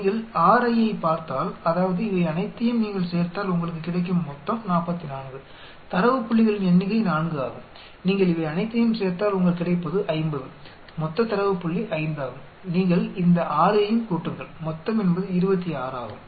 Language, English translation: Tamil, If you look at Ri's that means, the summation if you add up all these you get 44 total number of data points is 4, if you add up all these you get 50 total number of data point is 5, you add up all these 6 total is 26